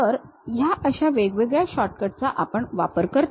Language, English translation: Marathi, These are the kind of shortcuts what we use